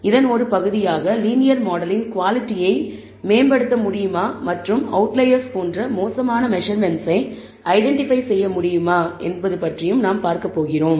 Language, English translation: Tamil, As a part of this, we are going to see, if we can improvise the quality of the linear model and can we identify bad measurements and by bad measurements, we mean outliers